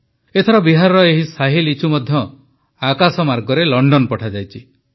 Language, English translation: Odia, This time the Shahi Litchi of Bihar has also been sent to London by air